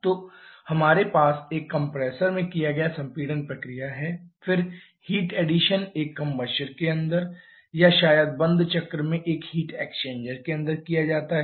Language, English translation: Hindi, So, we have the compression process done in a compressor, then the heat addition is done inside a combustor or maybe a heat exchanger in closed cycle